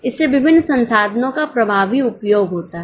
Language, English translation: Hindi, So, there is effective utilization of various resources